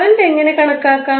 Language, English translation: Malayalam, How will you calculate the current